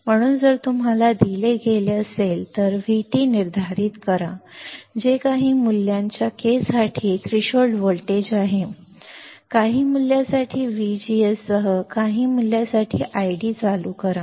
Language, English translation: Marathi, So, if you are given, determine VT, that is threshold voltage for K of some value, I D on for some value with V G S on for some value